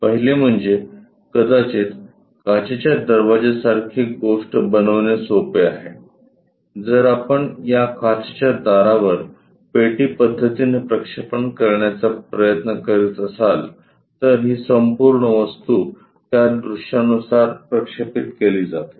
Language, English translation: Marathi, The first one is maybe it is easy to construct a glass door kind of thing, then if we are trying to project on to this glass doors box method, this entire thing projects onto this views